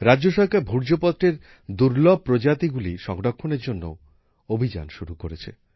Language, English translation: Bengali, The state government has also started a campaign to preserve the rare species of Bhojpatra